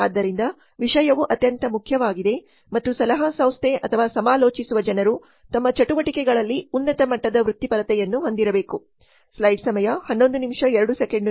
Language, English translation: Kannada, So the content is most important and the profession and the consulting agency or the people who are consulting must have high levels of professionalism in their activities